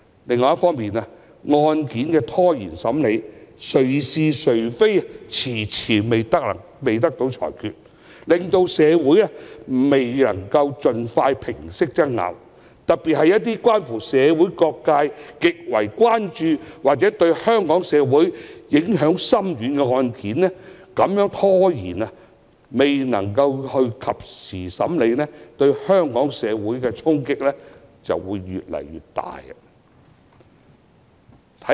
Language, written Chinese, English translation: Cantonese, 另一方面，案件的審理被拖延，誰是誰非遲遲未得到裁決，亦令社會上的爭拗未能盡快平息，特別是一些社會各界極為關注或對香港社會影響深遠的案件，越遲審理，對香港社會的衝擊便越大。, On the other hand with protracted proceedings of cases no judgment can be passed on the determination of merits promptly and so disputes in society cannot be resolved as soon as possible . It is particularly so for cases that have attracted enormous concern from various sectors of society or have profound impact on Hong Kong society . The more the trials are delayed the stronger the impact will be on Hong Kong society